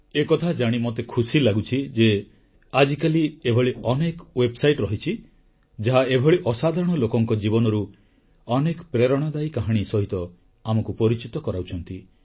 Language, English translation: Odia, I am glad to observe that these days, there are many websites apprising us of inspiring life stories of such remarkable gems